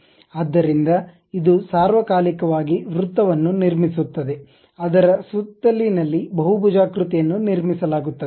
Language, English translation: Kannada, So, it is all the time construct a circle around which on the periphery the polygon will be constructed